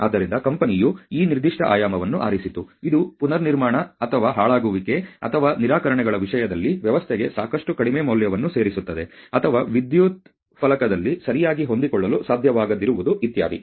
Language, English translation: Kannada, So, we very judiciously the company chose, you know that particular dimension which creates a lot of low value added to the system in terms of rework or spoilage or rejections or you know even like not being able to fit on the electrical panel properly so on so far